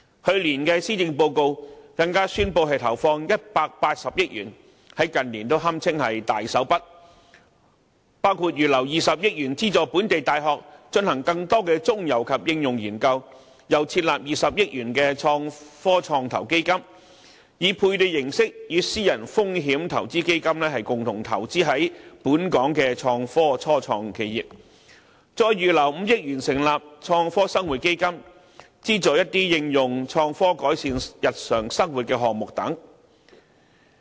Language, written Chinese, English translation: Cantonese, 去年的施政報告更宣布投放180億元推動創科發展，在近年堪稱"大手筆"，包括預留20億元資助本地大學進行更多中游及應用研究，又撥款20億元設立創科創投基金，採取配對形式，以私人投資基金共同投資在本港的創科初創企業，再預留5億元成立創科生活基金，資助一些應用創科改善日常生活的項目等。, The Government has even announced in the Policy Address last year that an investment of 18 billion would generously be made to promote innovation and technology development so that inter alia 2 billion would be earmarked for conducting more mid - stream and applied research projects in local universities; 2 billion would be set aside to set up an Innovation and Technology Venture Fund for co - investing with private venture capital funds on a matching basis in local innovation and technology start - ups; and 500 million would be set aside to set up an Innovation and Technology Fund for Better Living to finance projects that make use of innovation and technology to improve our daily life